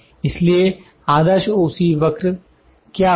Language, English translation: Hindi, So, what is ideal OC curve